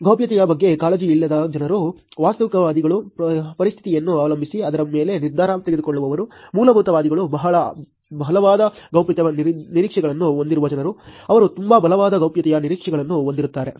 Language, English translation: Kannada, Unconcerned being people who do not care about privacy, pragmatist being who depending on the situation who make a decision on it, fundamentalist are the people who have very, very staunch privacy expectations, who have very strong privacy expectations